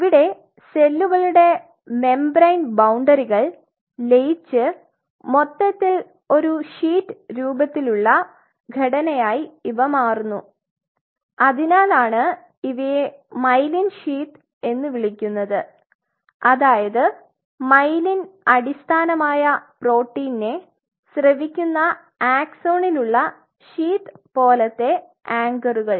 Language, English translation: Malayalam, It seems as if the boundary of cell membrane kind of merges the cell membrane merges it looks like a complete sheet kind of structure that is why it is also called myelin sheep and the sheep kind of anchors on the axon by virtue of these secreted myelin basic protein